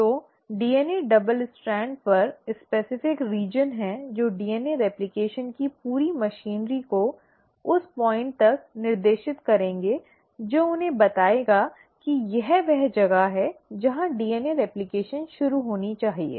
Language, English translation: Hindi, So there are specific regions on the DNA double strand which will direct the entire machinery of the DNA replication to that point telling them, that this is where the DNA replication should start